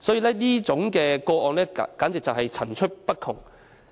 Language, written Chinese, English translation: Cantonese, 所以，這些個案簡直層出不窮。, Hence such cases have indeed occurred incessantly